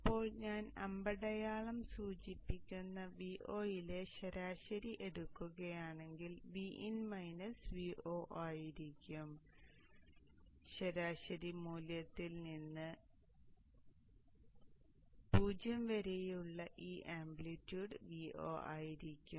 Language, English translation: Malayalam, Now if I take the average as v0 this amplitude I am indicating by the arrow will be V n minus V 0 and this amplitude from the average value to 0 would be V 0